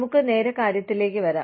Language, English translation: Malayalam, Let us get straight to the point